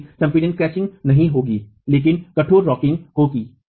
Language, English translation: Hindi, However, crushing will not occur but rigid rocking will occur